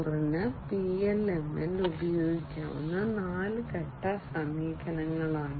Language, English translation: Malayalam, 0, these are the 10 step approaches that can be used for PLM